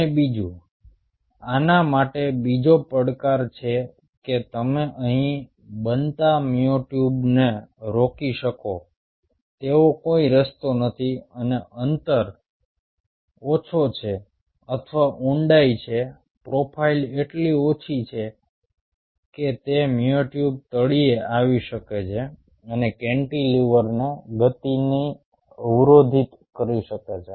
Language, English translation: Gujarati, and secondly, there is another challenge to this: there is no way that you can prevent the myotubes forming here, and the distance is so less, or the depth is so profile, so less, that those myotubes may come in the bottom and can occlude the motion of the cantilever motion